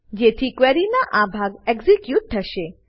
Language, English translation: Gujarati, So this part of the query will be executed